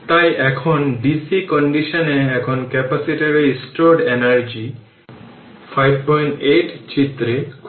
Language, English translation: Bengali, So, now under dc condition now find the energy stored in the capacitor in figure 5